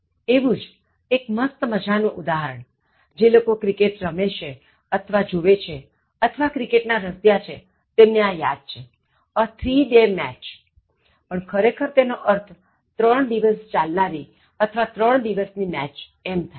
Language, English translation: Gujarati, Similarly, the most interesting example, those who play cricket or watch cricket or fond of cricket remember this, a three day match, but actually it means a match lasting for three days or a match of three days